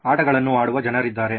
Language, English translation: Kannada, There are people playing games